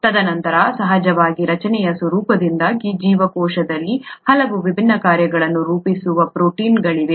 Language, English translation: Kannada, And then of course proteins which which form very many different functions in the cell because of the nature of the structure